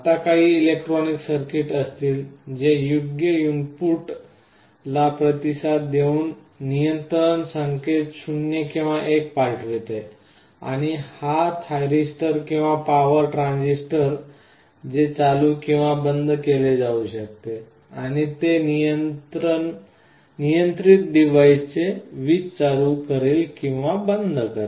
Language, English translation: Marathi, Inside there will be some electronic circuitry, which will be responding to some appropriate input that will be sending a control 0 or 1, and this thyristor or power transistor whatever is there will be switched on or off, and that will be turning the power on or off to the device that is being controlled